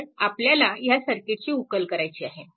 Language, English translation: Marathi, So, now, we have to we have to solve this circuit